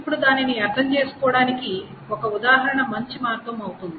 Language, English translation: Telugu, Now, an example will be the better way of understanding it